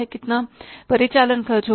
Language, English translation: Hindi, How much labor will be required